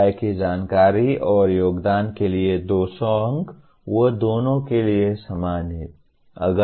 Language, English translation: Hindi, Faculty information and contributions, they are the same for both, 200 marks